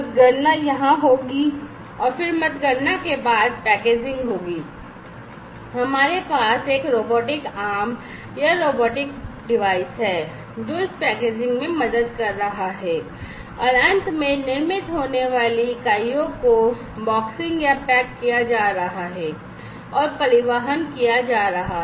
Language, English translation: Hindi, So, counting will take place here and then after counting, the packaging it takes place here and as you can see over here, we have a robotic arm or robotic device, which is helping in this packaging and finally, the units that are manufactured are going to be boxed or packaged and transported